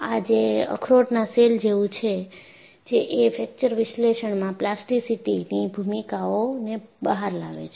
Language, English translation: Gujarati, You know this brings out in a nut shell, the role of plasticity in fracture analysis